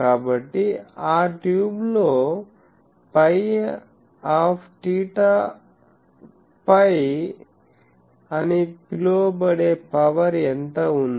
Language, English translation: Telugu, So, in that tube how much power is there that is called P i theta phi